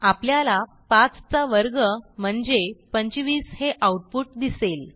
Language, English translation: Marathi, We see that the output displays the square of 5 that is 25